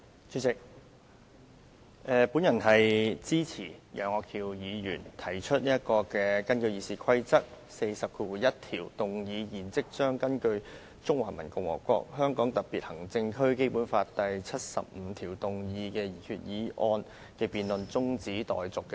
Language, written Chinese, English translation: Cantonese, 主席，我支持楊岳橋議員根據《議事規則》第401條，動議"現即將根據《中華人民共和國香港特別行政區基本法》第七十五條動議的擬議決議案的辯論中止待續"的議案。, President I support the motion moved by Mr Alvin YEUNG under RoP 401 that the debate on the proposed resolutions under article 75 of the Basic Law of the Hong Kong Special Administrative Region of the Peoples Republic of China be now adjourned